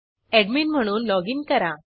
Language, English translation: Marathi, Let us login again as the admin